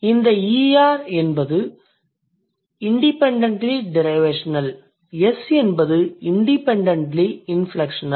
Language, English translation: Tamil, ER is independently derivational, S is independently inflectional